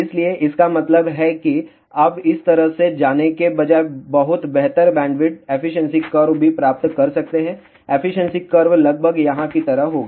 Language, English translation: Hindi, So; that means, you can get much better bandwidth also efficiency curve instead of going like this, efficiency curve will be almost like this here